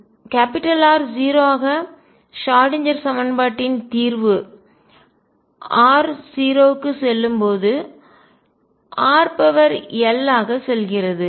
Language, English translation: Tamil, The solution of the Schrodinger equation as r tends to 0 goes as r raise to l